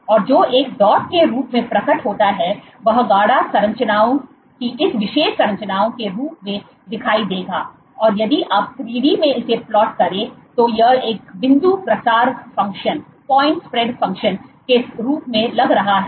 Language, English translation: Hindi, And what it appears of a dot will appear as this particular structure of concentric structures if you replot in 3 d it looks as a point spread function